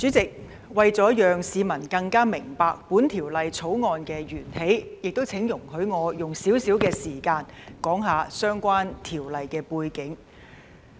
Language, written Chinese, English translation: Cantonese, 主席，為了讓市民更加明白《2021年立法會條例草案》的源起，請容許我用少許時間，談談相關條例的背景。, President to enable the public to better understand the origin of the Legislative Council Bill 2021 the Bill please allow me to spend a little time explaining the background of the relevant legislation